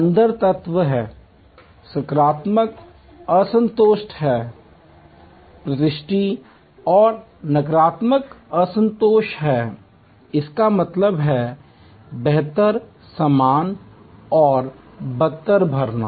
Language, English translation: Hindi, There are elements inside, there are positive disconfirmation, confirmation and negative disconfirmation; that means, filling of better, same and worse